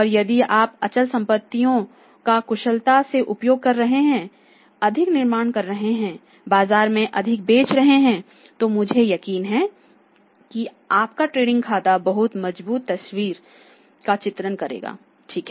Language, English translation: Hindi, And if you are utilising a fixed assets efficiently manufacturing more selling more in the market I am sure that your trading account will be depicting a very strong picture right